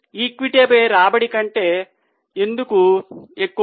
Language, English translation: Telugu, Why is it higher than return on equity